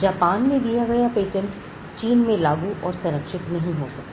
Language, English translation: Hindi, Patents granted in Japan cannot be enforced or protected in China